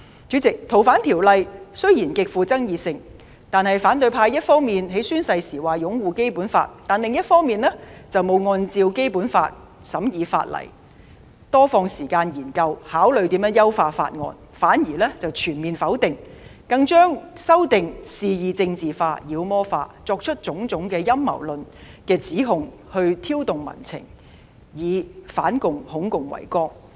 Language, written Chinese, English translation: Cantonese, 主席，雖然《逃犯條例》的修訂極富爭議，但反對派一方面在宣誓時表示擁護《基本法》，另一方面卻未有按《基本法》審議法例，多花時間研究和考慮如何優化法案，反而全面否定，更將修訂肆意政治化、妖魔化，作出種種陰謀論的指控，藉以挑動民情，以反共、恐共為綱。, President the amendment of FOO is extremely controversial but those in the opposition camp have while swearing to uphold the Basic Law on the one hand failed to scrutinize the legislation and spend more time on studying and considering ways to enhance the Bill in accordance with the Basic Law on the other . They have instead repudiated it altogether and even arbitrarily politicized and demonized it making all sorts of allegations of conspiracy to provoke public sentiment with anti - communist and red scare as the guiding principles